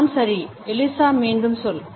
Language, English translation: Tamil, All right Eliza say it again